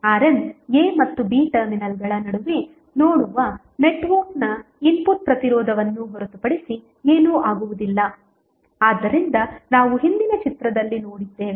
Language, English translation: Kannada, R N would be nothing but input resistance of the network looking between the terminals a and b so that is what we saw in the previous figure